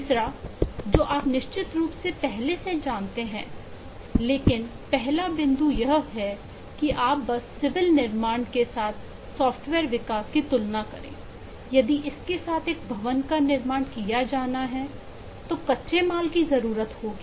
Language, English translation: Hindi, the third one you are already aware of, sure, but the first point is, if you just compare software development with civil construction, if a building is to be constructed with this components, it needs raw materials